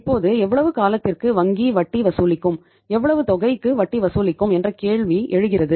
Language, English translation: Tamil, Now the question arises for how much period bank will charge the interest and for on on how much amount